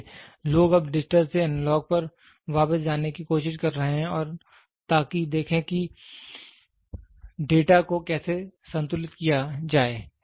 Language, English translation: Hindi, So, people are trying to go back from digital to analogous now and see how to balance the data